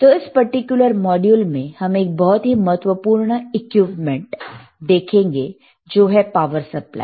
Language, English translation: Hindi, So, in this particular module let us see the extremely important equipment, power supply